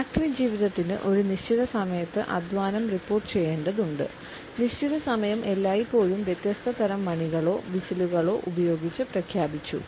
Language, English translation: Malayalam, The factory life required that the labor has to report at a given time and the appointed hour was always announced using different types of bells or whistles etcetera